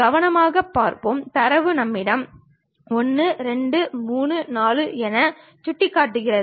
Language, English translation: Tamil, Let us look at carefully, the data points what we have is 1, 2, 3, 4